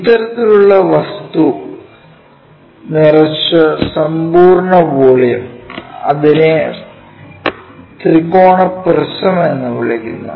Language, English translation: Malayalam, So, the complete volume filled by such kind of object, what we call triangular prism